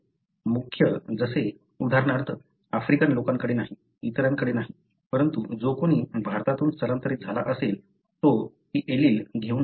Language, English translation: Marathi, The main like, for example Africans do not have, others do not have, but whoever migrated from India may carry this allele